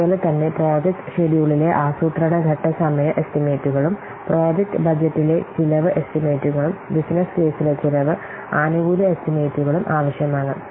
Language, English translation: Malayalam, Similarly, within planning page, time estimates in project schedule, cost estimates in project budget and cost and benefit estimates in business case they are required